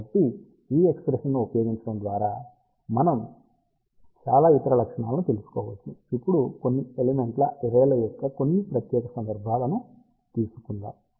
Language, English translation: Telugu, So, by using that expression, we can actually find out lot of other characteristics, let us now take some special cases of few element array